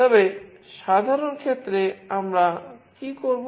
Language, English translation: Bengali, But in general case, what we will be doing